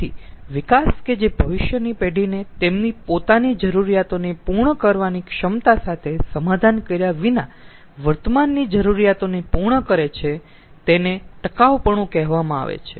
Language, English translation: Gujarati, so, development that meets the needs of the present without compromising the ability of future generation to meet their own needs, that is called sustainability